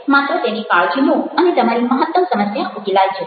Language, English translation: Gujarati, just take care of these and the majority of your issues will be resolved